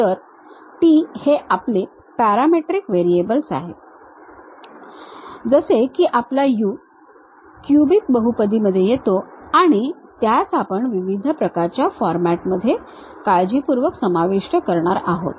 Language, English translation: Marathi, So, t is our parametric variable, like our u, a cubic polynomial, a cubic, a cubic, a cubic in different kind of formats we are going to carefully adjust